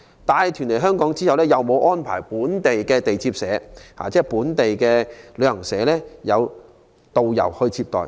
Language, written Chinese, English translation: Cantonese, 帶團來港後，沒有安排本港旅行代理商提供的導遊接待。, They have not arranged local travel agents to receive the tour groups after their arrival in Hong Kong